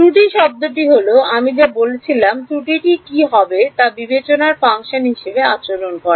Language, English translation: Bengali, The error term is what I am talking about how does the error behave as a function of the discretization